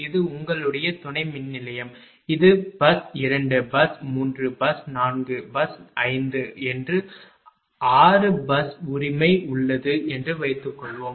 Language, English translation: Tamil, Suppose, this is your this is your substation this is bus 2, bus 3, bus 4, bus 5 there are 6 bus right